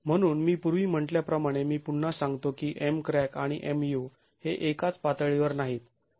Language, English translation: Marathi, So, as I said earlier I repeat that MC crack and MU are not at the same level